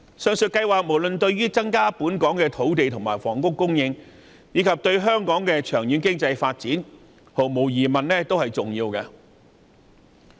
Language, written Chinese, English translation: Cantonese, 上述計劃對於增加香港的土地及房屋供應，以至促進香港長遠經濟發展，都十分重要。, All these projects are crucial to boosting our land and housing supply as well as fostering our economic growth in the long run